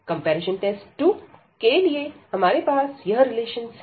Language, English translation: Hindi, So, the comparison test 2 was again we have these relations